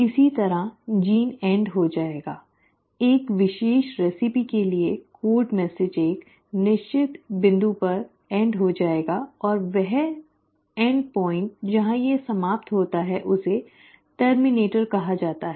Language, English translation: Hindi, Similarly the gene will end, the code message for a particular recipe will end at a certain point and that end point where it ends is called as a terminator